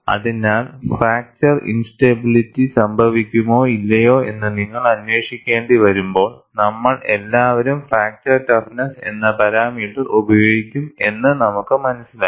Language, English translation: Malayalam, So, we all understand, when you have to investigate whether fracture instability will occur or not, we can use the parameter, fracture toughness